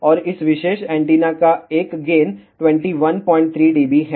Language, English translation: Hindi, And a gain of this particular antenna is 21